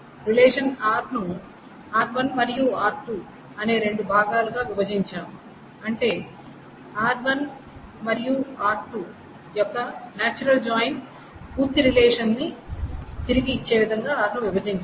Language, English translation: Telugu, In the MVD what we did is that we broke up the relation R into two parts, R1 and R2, such that the join of R1 and R2, the natural join of course gives back the relation, the complete relation R